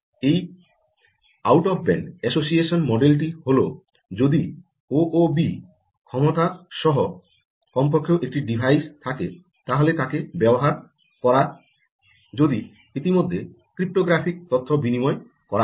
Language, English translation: Bengali, the out of band association model is the model to use if at least one device with o o b capability already has cryptographic information exchanged out of band